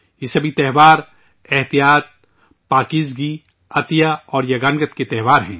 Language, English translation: Urdu, All these festivals are festivals of restraint, purity, charity and harmony